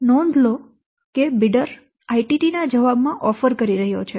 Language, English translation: Gujarati, So, note that the bidder is making an offer in response to ITT